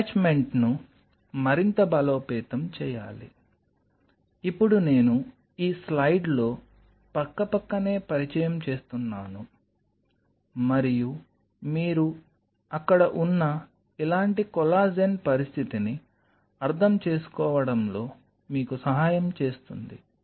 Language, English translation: Telugu, Further strengthening the attachment, now I in this slide I introduce here side by side and will help you to understand a situation like this, where you have the collagen sitting there